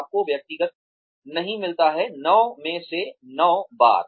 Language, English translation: Hindi, You do not get personal, 9 times out of 10